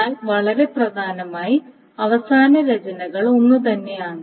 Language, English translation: Malayalam, But very, very importantly, the final rights are the same